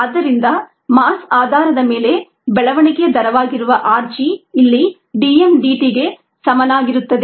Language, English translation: Kannada, therefore, r g, which is the growth rate on a mass basis, equals d m, d t